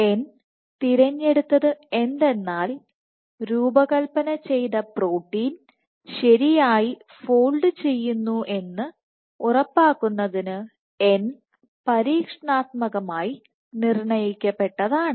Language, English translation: Malayalam, So, n is chosen as n is experimentally determined so as to ensure the engineered protein folds properly